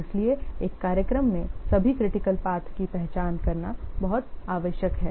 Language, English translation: Hindi, Therefore, it is very much necessary to identify all the critical paths in a schedule